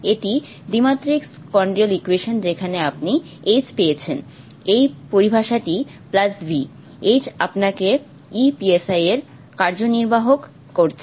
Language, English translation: Bengali, This is the two dimensional Schrodinger equation in which you have got the H, this term plus the V, H acting on the si, giving you e si